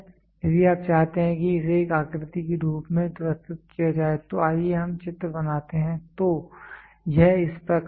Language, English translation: Hindi, If you want this to be represented into a figure form then let us draw the figure so it is like this